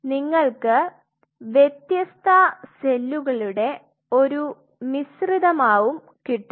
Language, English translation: Malayalam, You are getting a mixture of different cells